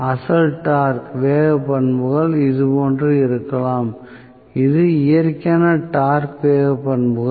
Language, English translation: Tamil, May be the original torque speed characteristics was like this, so, this the natural torque speed characteristics